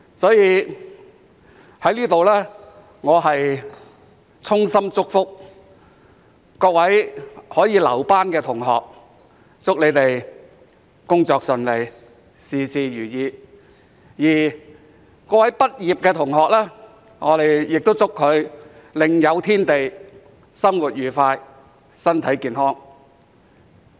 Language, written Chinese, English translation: Cantonese, 所以，我在此衷心祝福各位可以"留班"的同學，祝他們工作順利，事事如意；而各位畢業的同學，我亦祝他們另有天地、生活愉快、身體健康。, Hence I would like to wish all those students who remain for another term good luck and every success in their work and wish all the graduates a happy and healthy life outside this legislature